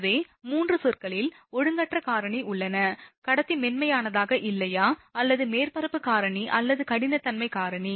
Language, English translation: Tamil, So, three terms are there irregularity factor, is conductor is not smooth right or surface factor or roughness factor, right